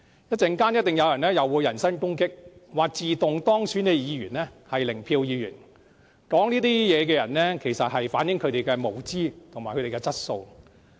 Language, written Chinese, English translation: Cantonese, 稍後一定會有人人身攻擊，說自動當選的議員是"零票議員"，說這些話的人不但反映他們的無知，更反映他們的質素。, I can foresee a personal attack on me later on claiming that automatically elected legislators are Members with zero vote . By saying such words it not only reflects their ignorance but also their poor quality